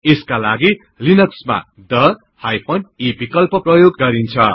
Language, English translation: Nepali, For this in Linux we need to use the e option